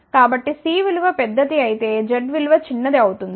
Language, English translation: Telugu, So, larger the value of C smaller will be z